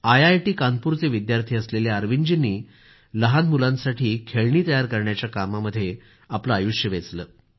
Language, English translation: Marathi, It will gladden your heart to know, that Arvind ji, a student of IIT Kanpur, spent all his life creating toys for children